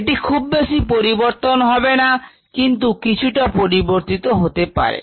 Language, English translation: Bengali, it's not change much, but it has changed a little bit